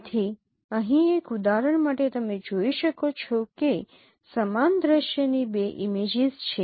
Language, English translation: Gujarati, So here for an example you can see that there are two images of the same scene